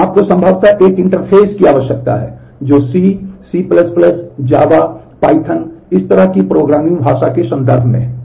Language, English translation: Hindi, So, you need possibly an interface which is in terms of C, C++, Java, Python, this kind of programming language